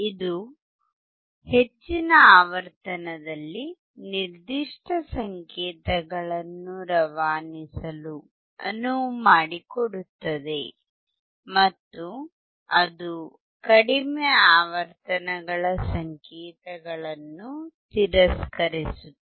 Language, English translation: Kannada, It will allow a certain set of signals at high frequency to pass and it will reject low frequency signals